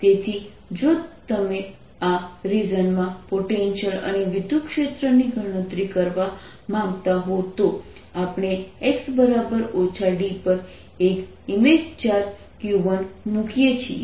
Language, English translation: Gujarati, so if you want to calculate the potential and electric field in this region, we place an image charge q one at x equals minus d